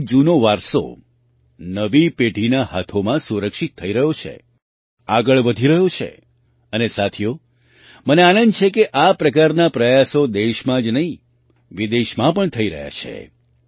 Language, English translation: Gujarati, That is, the old heritage is being protected in the hands of the new generation, is moving forward and friends, I am happy that such efforts are being made not only in the country but also abroad